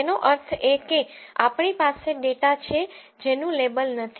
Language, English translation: Gujarati, That means we have the data which is not labeled